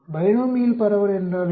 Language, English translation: Tamil, What is the binomial distribution